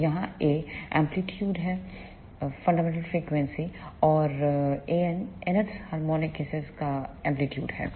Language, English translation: Hindi, So, here A 1 is the amplitude of the fundamental frequency and A n is the amplitude of the nth harmonic